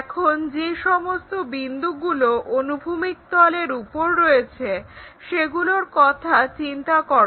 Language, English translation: Bengali, Now, transfer all these points on the horizontal plane